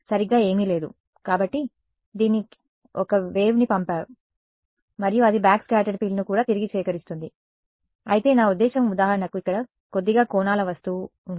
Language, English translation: Telugu, Nothing right so, this guy sends a wave and it also collects back the backscattered field, but I mean if there is for example, slightly angled object over here